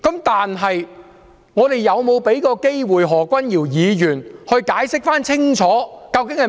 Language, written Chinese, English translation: Cantonese, 但是，我們是否有給何君堯議員機會解釋清楚？, However have we given Dr Junius HO a chance for clarification?